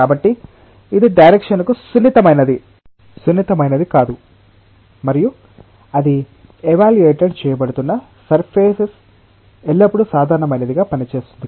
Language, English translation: Telugu, So, it is insensitive to the direction and it is acting always normal to the surface on which it is being evaluated